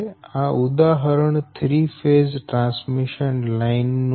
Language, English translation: Gujarati, the example is a three phase transmission line